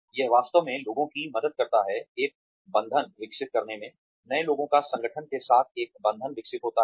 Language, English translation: Hindi, It really helps people, develop a bond, the newcomers, develop a bond with the organization